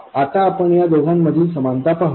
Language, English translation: Marathi, Now you can see the similarities between these two